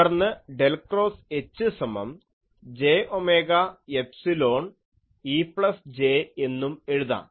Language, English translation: Malayalam, So, you can find del cross H A is equal to j omega epsilon E A